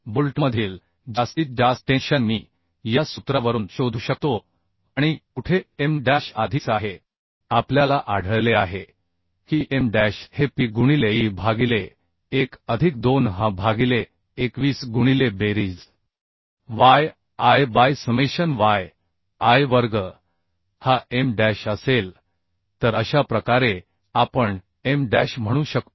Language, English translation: Marathi, So maximum tension in the bolt I can find out from this formula and where M dash already we have found out M dash will be is equal to p into e by 1 plus 2h by 21 into summation yi by summation yi square